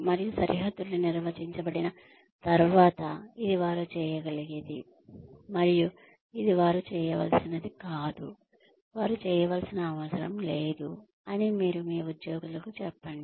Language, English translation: Telugu, And, once the boundaries are defined, and you tell your employees that, this is what they can do, and this is what they are not supposed to, what they do not need to do